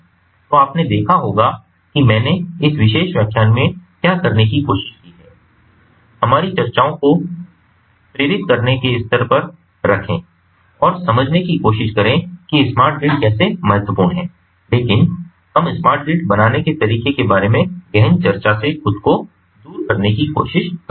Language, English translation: Hindi, so what i tried to do in this particular lecture is to ah, ah, you know ah keep our discussions at the level of ah, motivating and trying to understand how smart grid is important, but we try to abstain ourselves from deeper discussions about how to build a smart grid